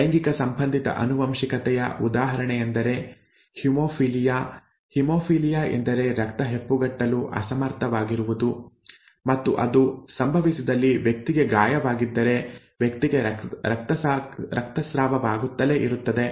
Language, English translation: Kannada, An example of sex linked inheritance is haemophilia, haemophilia is an inability to inability of the blood to clot and if that happens then the person has a wound then the person continues to bleed